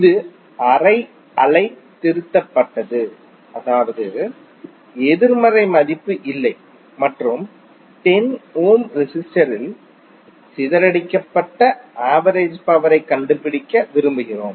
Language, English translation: Tamil, It is half wave rectified means the negative value is not there and we want to find the average power dissipated in 10 ohms resistor